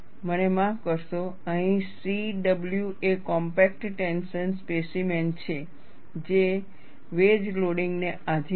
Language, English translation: Gujarati, I am sorry, here it is C W is compact tension specimen, subjected to wedge loading